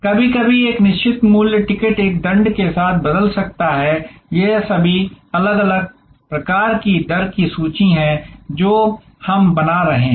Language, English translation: Hindi, Sometimes a fixed price ticket may be changeable with a penalty, these are all different types of rate buckets that we are creating